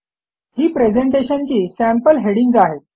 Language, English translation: Marathi, They are sample headings for the presentation